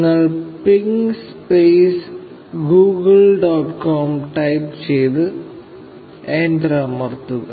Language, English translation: Malayalam, You type ping space Google dot com, and press enter